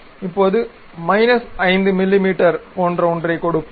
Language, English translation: Tamil, Now, let us give something like minus 5 mm